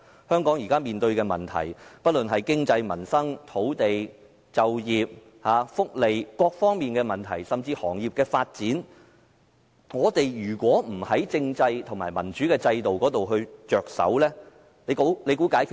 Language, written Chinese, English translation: Cantonese, 香港現時面對不論是經濟、民生、土地、就業、福利等各方面的問題，甚至是行業的發展，如果不從政制及民主制度着手，可以解決嗎？, Hong Kong is now facing problems in various aspects like economy peoples livelihood land employment social welfare and even development of industries . Can these problems be resolved if we do not start from tackling our political and democratic systems?